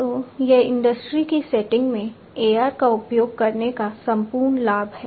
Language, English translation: Hindi, So, this is the whole advantage of the use of AR, in industry settings